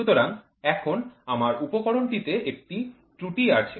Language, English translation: Bengali, So, then there is an error in my